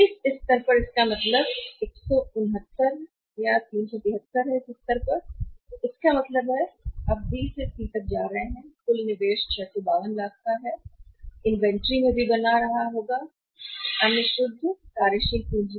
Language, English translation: Hindi, So, it means 169 at this level to 373 at this level, so it means you are moving from B to C you will be investing 652 lakhs in the total investment will be making in the inventory as well as the other net working capital